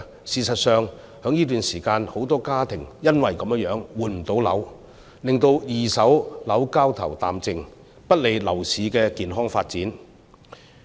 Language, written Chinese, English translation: Cantonese, 事實上，在這段時間，很多家庭因此而無法換樓，令到二手樓交投淡靜，不利樓市的健康發展。, In fact currently many families have been unable to flat replacement causing a cooling down of the second - hand property market which is unfavorable to the healthy development of the property market